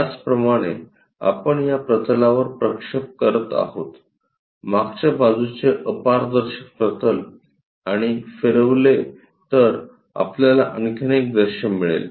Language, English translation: Marathi, Similarly, if we are projecting on to that plane back side opaque plane and rotate that we will get again another view